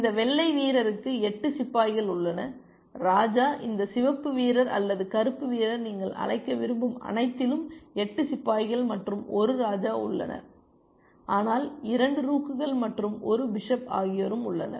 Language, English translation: Tamil, This white player has 8 pawns and the king, this red player or black player whatever you want to call has 8 pawns and a king, but also has 2 rooks and a bishop essentially